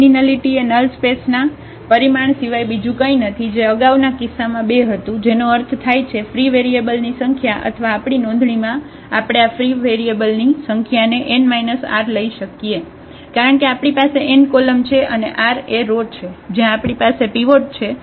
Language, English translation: Gujarati, The nullity of A is nothing but the dimension of the null space which was 2 in the this previous case, meaning the number of free variables or in our notation we also take this number of free variables as n minus r, because we have n columns and the r are the rows where we have the pivots